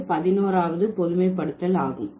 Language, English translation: Tamil, So, that's the 11th generalization